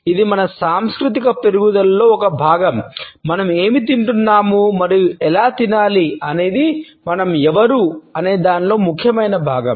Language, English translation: Telugu, It is a part of our cultural growing up, what we eat and how we eat is an essential part of who we are as a people